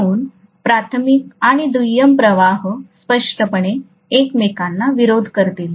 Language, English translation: Marathi, So primary and secondary flux will obviously oppose each other